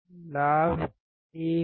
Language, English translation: Hindi, Gain is 1